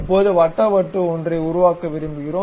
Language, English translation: Tamil, Now, we would like to make a circular disc